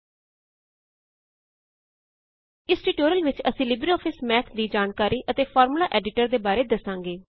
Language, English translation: Punjabi, In this tutorial, we will cover Introduction and Formula Editor of LibreOffice Math